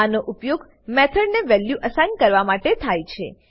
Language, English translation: Gujarati, It is used to assign a value to a method